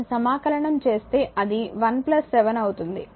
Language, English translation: Telugu, If you integrate this it will be your 1 plus 7